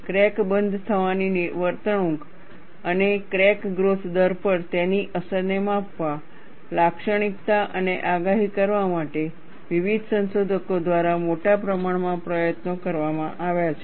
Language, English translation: Gujarati, A great deal of effort has been taken by various researchers to measure, characterize and predict crack closure behavior, and its effect on crack growth rates